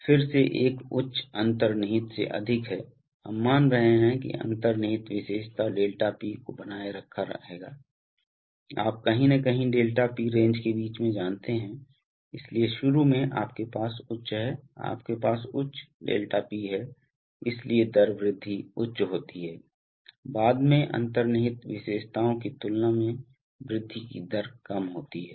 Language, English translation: Hindi, Again there is a high, higher than inherent, we are assuming the inherent characteristic 𝛿P will be will be maintained, you know somewhere in the middle of the 𝛿P range, so initially you have high, you have a higher 𝛿P, so therefore the rate of rise is high, later on the rate of rise lower than the inherent characteristics this is what happens